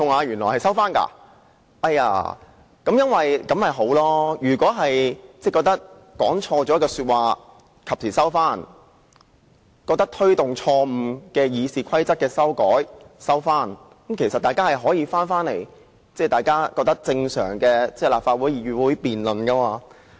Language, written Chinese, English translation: Cantonese, 如果大家及時收回認為自己說錯的話，或撤回認為自己錯誤地提出的對《議事規則》的修訂，其實大家也可以令立法會回復正常的議會辯論。, If Members can retract remarks considered by themselves to be wrong or withdraw amendments mistakenly proposed by them to RoP they can actually bring the Legislative Council back to conducting normal parliamentary debates